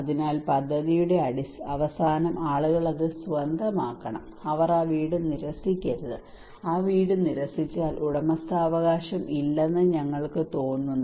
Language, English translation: Malayalam, So in the end of the project people should own it they should not refuse that houses, if they refuse that houses we feel that there is no ownership